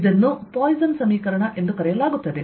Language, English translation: Kannada, this is known as the poisson equation